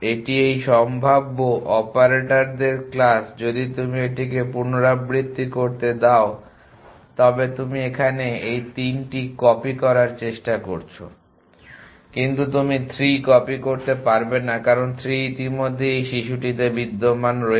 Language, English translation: Bengali, This is the class of this possible operators if you let you a repeat this you are try to copy this 3 here, but you cannot copy 3, because 3 already exists in this child